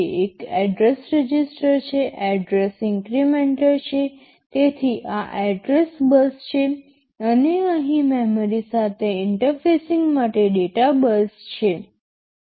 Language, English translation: Gujarati, There is an address register, address inmcrplementer, so these are the address bus and here is the data bus for interfacing with memory